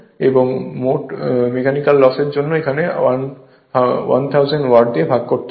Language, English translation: Bengali, And 1000 watt for mechanical losses right, so this is watt divided by 1000